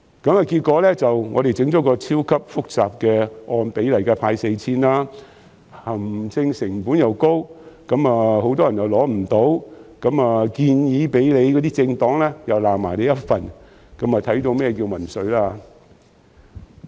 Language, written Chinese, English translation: Cantonese, 結果，政府設計了一個超級複雜的方案，按比例派發 4,000 元，行政成本高昂，而且很多人未能受惠，連提出建議的政黨也指責政府，這正是所謂的民粹。, As a result the Government designed an extremely complicated proposal to hand out 4,000 on a sliding scale . The administrative costs were high and not many people had benefited from it . Even the political party that put forward the proposal blamed the Government